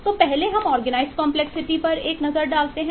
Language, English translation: Hindi, let us take a look into the organized complexity